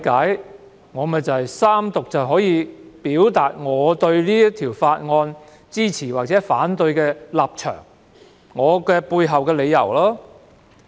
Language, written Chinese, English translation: Cantonese, 據我理解，在三讀辯論中，議員可表達支持或反對《條例草案》的立場及背後的理由。, To my understanding Members may express their positions and justifications for supporting or opposing the Bill in this Third Reading debate . I wonder if Dr Junius HO has any brilliant idea